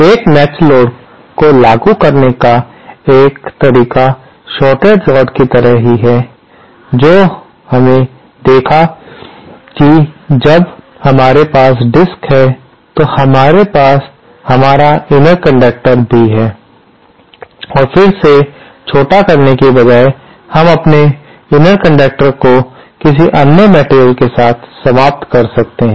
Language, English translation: Hindi, A matched load, one way to implement is similar way to the shorted load that we saw, when we have a disk, we have our inner conductor and then instead of shortening it, we end our inner conductor with some other material